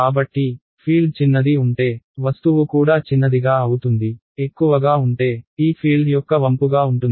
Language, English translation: Telugu, So, the smaller the field is right so smaller the object; the larger will be the bending of this field ok